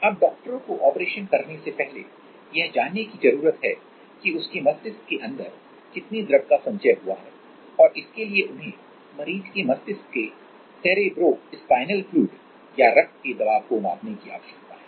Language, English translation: Hindi, Now, doctors before operating they need to know that how much is the fluid accumulation inside his brain and for that they need to measure the pressure of the cerebrospinal fluid or blood inside his brain